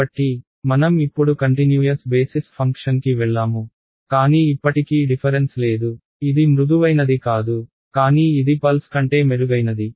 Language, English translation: Telugu, So, I have now moved to a continuous basis function, but still not differentiable right it is not smooth, but it is it is better than pulse